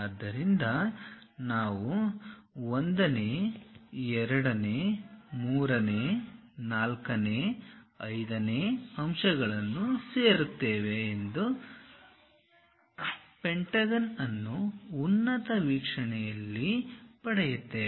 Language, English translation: Kannada, So, that we will have 1st, 2nd, 3rd, 4th, 5th points join them to get the pentagon in the top view